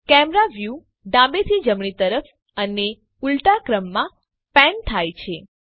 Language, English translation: Gujarati, The Camera view moves left to right and vice versa